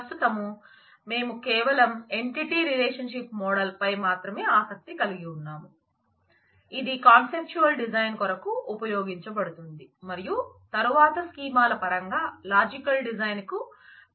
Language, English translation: Telugu, Right now we are interested only in the entity relationship model, which will be used for conceptual design and then will give us the basis for the logical design in terms of the schemas